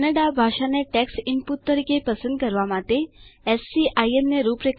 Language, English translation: Gujarati, Configure SCIM to select Kannada as a language for text input